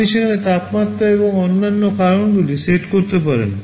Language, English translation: Bengali, You can set the temperatures and other factors there